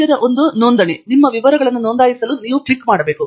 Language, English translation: Kannada, The middle one Register is what you must click to register your details